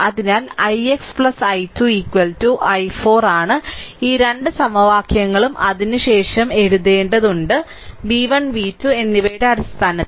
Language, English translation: Malayalam, So, it is i x plus i 2 is equal to i 4 these 2 equations you have to write to after that you put in terms of v 1 and v 2